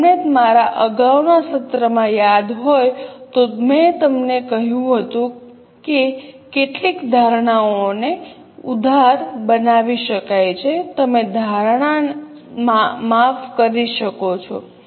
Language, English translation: Gujarati, If you remember in my earlier session, I had told you that some of the assumptions can be liberalized